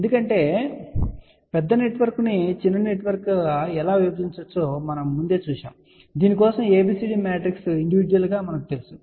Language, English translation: Telugu, Because we had seen earlier how a larger network can be divided into smaller network for which we know ABCD matrix individually